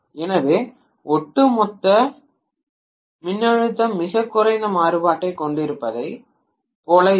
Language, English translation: Tamil, So overall voltage will look as though it is having very little variation